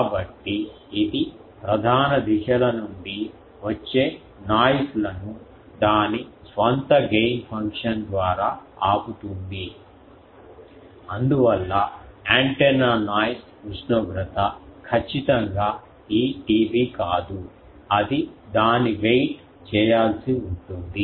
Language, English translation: Telugu, So, it will wait the noises coming from major directions by its own gain function so that is why antenna noise temperature is not exactly this T B it will be a weighting of that